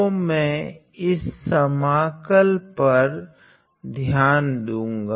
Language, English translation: Hindi, So, I am going to consider this integral